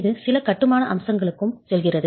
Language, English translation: Tamil, It also goes into some construction aspects